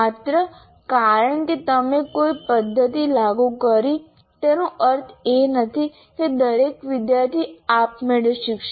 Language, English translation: Gujarati, Just because you applied a method, it doesn't mean that every student automatically will learn